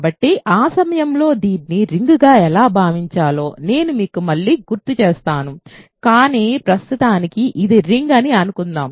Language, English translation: Telugu, So, at that point I will remind you again how to think of this as a ring, but for now suppose that it is a ring